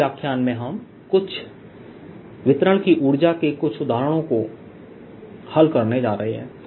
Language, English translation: Hindi, in the next lecture we are going to solve some examples of energy, of some distribution of charge